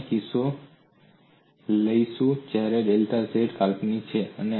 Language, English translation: Gujarati, We are taking a case, when delta z is real